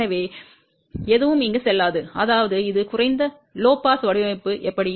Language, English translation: Tamil, So, nothing will go here, that is how it is low pass design